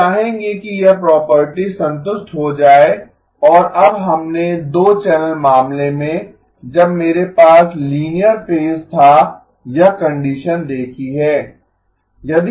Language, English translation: Hindi, We would like this property to be satisfied and now we have seen this condition in the 2 channel case when I had linear phase